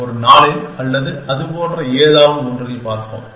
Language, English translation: Tamil, Let us in one day or something like that